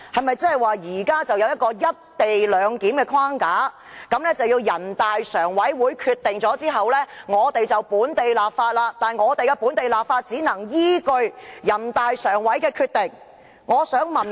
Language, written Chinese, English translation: Cantonese, 現在是否有一個"一地兩檢"框架，要在全國人大常委會作出決定後，我們才能進行本地立法，而且只能依據全國人大常委會的決定行事？, Is there now a framework called the co - location arrangement which requires that the enactment of local legislation must be preceded by a decision of NPCSC and that the work of enacting local legislation must keep within the parameters of the decision?